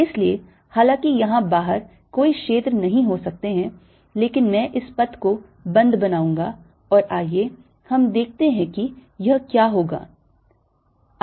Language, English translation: Hindi, ok, so, although they may not be any field out here, but i'll make this path closed and let us see what does it come out to be